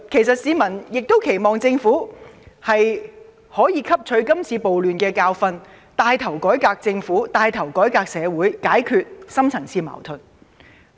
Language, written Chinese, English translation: Cantonese, 市民亦期望政府可以從今次暴亂汲取教訓，牽頭改革政府和社會，解決深層次矛盾。, The people also expect the Government to learn from the recent rioting and take the lead in reforming the Government and society to resolve the deep - rooted conflicts